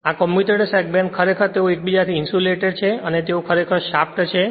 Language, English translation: Gujarati, This commutator segment actually they are insulated from themselves right and their they actually that shaft is there